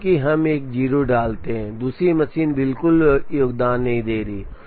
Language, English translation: Hindi, Because, we put a 0, then the second machine is not contributing at all